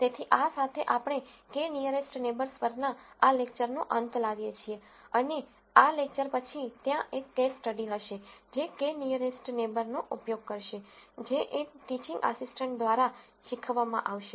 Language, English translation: Gujarati, So, with this we come to an end of this lecture on k nearest neighbors and following this lecture there will be a case study, which will use k nearest neighbor that will be taught by one of the teaching assistants